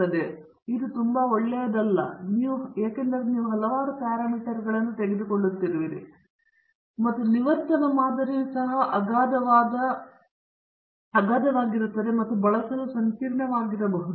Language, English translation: Kannada, But this is not really good because you are taking up too many of the parameters, and the regression model may become also very unwieldy and complex to use